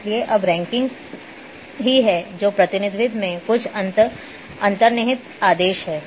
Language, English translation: Hindi, So, there is now ranking there is some inherent order in the representation